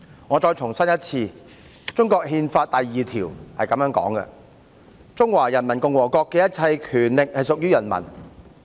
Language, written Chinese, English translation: Cantonese, 我再重申一次，中國憲法第二條表示："中華人民共和國的一切權力屬於人民。, Let me reiterate that Article 2 of the Constitution of China states All power in the Peoples Republic of China belongs to the people